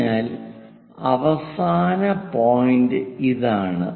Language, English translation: Malayalam, So, the end point is this